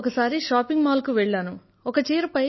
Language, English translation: Telugu, I went for shopping with her at a mall